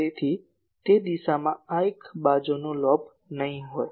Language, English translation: Gujarati, So, in that case this would not be a side lobe